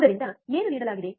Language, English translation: Kannada, So, what is the given